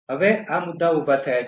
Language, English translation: Gujarati, Now these issues are raised